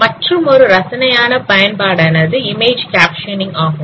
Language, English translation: Tamil, Another interesting application is image captioning